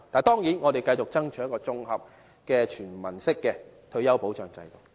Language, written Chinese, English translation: Cantonese, 當然，我們會繼續爭取一套綜合和全民的退休保障制度。, Of course we will continue to strive for a comprehensive and universal retirement system